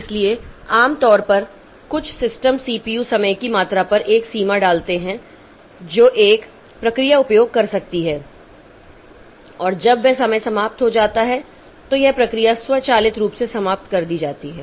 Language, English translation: Hindi, So, normally some systems so they put a limit on the amount of CPU time that a process can use and when that time expires the process gets killed automatically